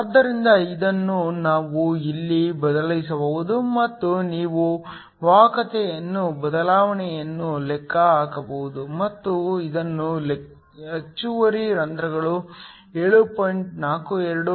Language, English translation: Kannada, So, This we can substitute here and you can calculate the change in conductivity and this is driven by the excess holes 7